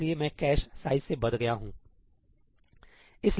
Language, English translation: Hindi, So, I am bound by the cache size